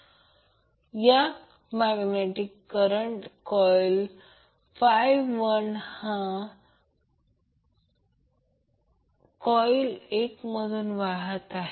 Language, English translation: Marathi, Now let us consider the current I 2 flows through coil 2